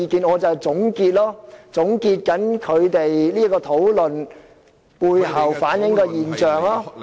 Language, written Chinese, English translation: Cantonese, 我現在便是要總結委員的討論所反映的現象。, now I am drawing a conclusion on the phenomena reflected by Members in their discussion